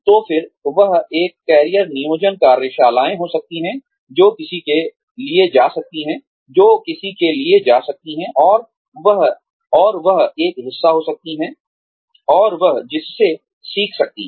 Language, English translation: Hindi, Then one, there could be career planning workshops, that one could go in for, and that one could be a part of, and that one could learn from